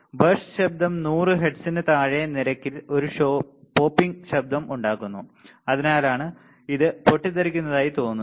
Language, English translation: Malayalam, Burst noise makes a popping sound at rates below 100 hertz you see that is why it looks like a burst all right it makes a popping sound